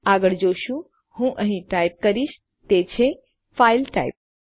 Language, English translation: Gujarati, The next one well look at is Ill just type it here is the type of file